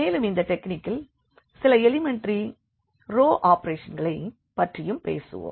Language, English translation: Tamil, And, we will be also talking about in this technique some elementary row operations